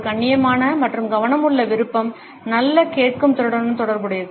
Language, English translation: Tamil, A polite and attentive nod is also related with good listening skills